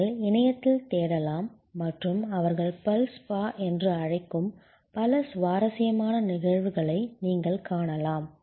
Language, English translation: Tamil, You can search on the internet and you will find many interesting instances of what they call a dental spa